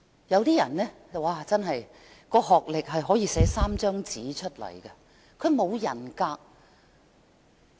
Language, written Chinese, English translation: Cantonese, 有人的學歷可以寫滿3張紙，但他卻沒有人格。, Someones academic qualifications may be three - page thick but then he is of no integrity